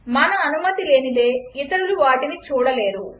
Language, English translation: Telugu, Unless we permit, others cannot see them